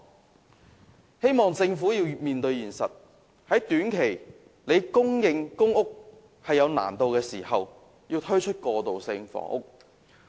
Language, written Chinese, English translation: Cantonese, 我希望政府面對現實，在短期難以供應公屋時，推出過渡性房屋。, I hope that the Government will face up to the reality that when public rental housing PRH cannot be built within a short time transitional housing should be provided